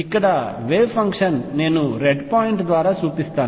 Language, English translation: Telugu, The wave function right here I will show it by red point